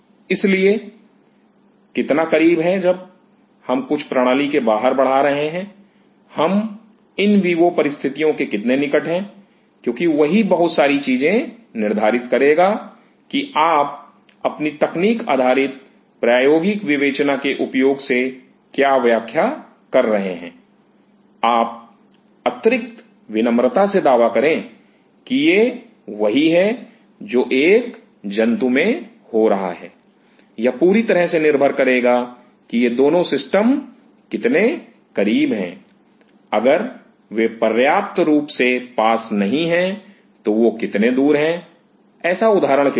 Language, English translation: Hindi, So, how close when we are growing something outside the system, how close we are to the in vivo set up because that will determine a lot of things that how what you are interpreting you experimental interpretation of using a technique based on this and you wanted to extra polite and claim that this is what is happening in an animal will depend whole lot on how close these 2 systems are, if they are not close enough how far they are